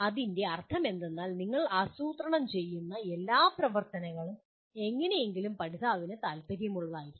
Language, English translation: Malayalam, What it means is, all activities that we plan should somehow be of interest to the learner